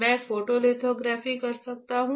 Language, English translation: Hindi, I can perform a photolithography, alright